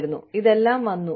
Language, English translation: Malayalam, And, all of this came